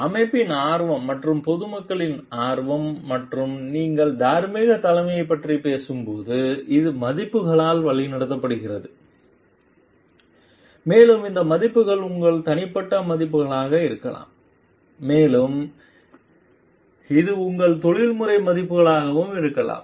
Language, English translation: Tamil, Interest of the organization and interest of the public at large and when you are talking of moral leadership which is guided by values and these values could be your personal value and it could be your professional values also